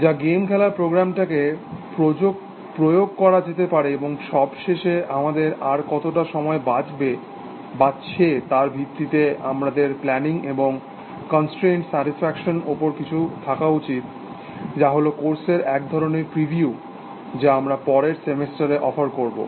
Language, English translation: Bengali, And finally, depending on how much time we have left, we should have, something on planning and constraint satisfaction, which is kind of preview of the course that we offer next semester